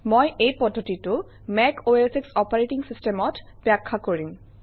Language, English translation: Assamese, I will explain this process in a MacOSX operating system